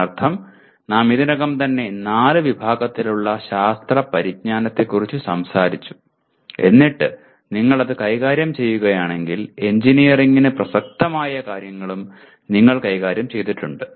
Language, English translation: Malayalam, That means we have already talked about four categories of knowledge of science and then if you are dealing with that then you have also dealt with that, what is relevant to engineering as well